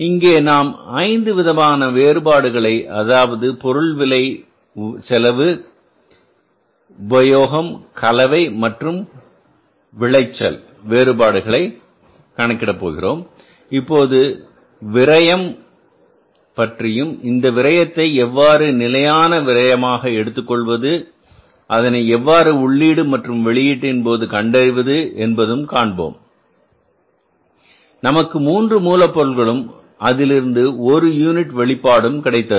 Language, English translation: Tamil, Here we will calculate all the five variances that is material price then cost usage, mix and the yield variance and we will adjust the issue of the wastages also and then we will try to find out that if there is some standard wastage because I as I told you that comparing the input with the output we can find out that say for example we give the three units of input we can expect the one unit of the output